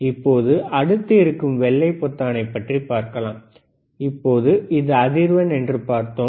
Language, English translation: Tamil, Now, next button which is a white button, now we have seen this is a frequency here